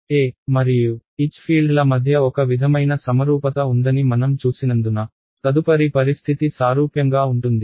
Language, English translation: Telugu, The next condition is analogous because we have seen that there is a sort of symmetry between E and H fields